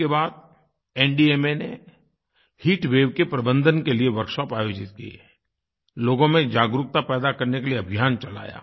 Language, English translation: Hindi, After that, NDMA organized workshops on heat wave management as part of a campaign to raise awareness in people